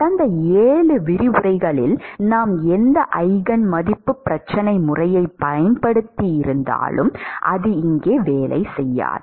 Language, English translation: Tamil, In the last 7 lectures whatever eigenvalue problem method we have used, it will not work here